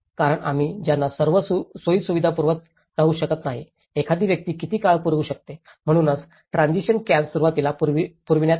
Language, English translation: Marathi, Because, we cannot keep providing them all the facilities, for how long one can provide, so that is where the transition camps have been provided initially